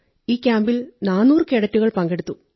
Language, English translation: Malayalam, 400 cadets attended the Camp